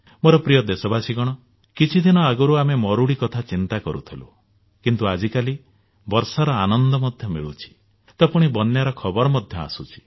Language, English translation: Odia, My dear countrymen, while some time ago, we were concerned about a drought like situation, these days, on the one hand, we are enjoying the rains, but on the other, reports of floods are also coming in